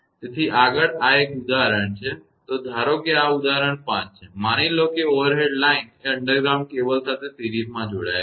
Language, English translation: Gujarati, So, next is this an example; so, assume that this is example 5; assume that an overhead line is connected in series with an underground cable